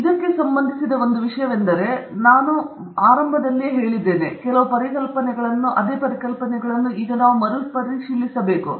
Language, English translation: Kannada, So right so, one of the things that we will look at, first of all, is we will have to revisit some of the ideas that I have presented right at the beginning